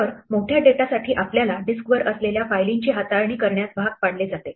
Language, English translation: Marathi, So, for large data we are forced to deal with files which reside on the disk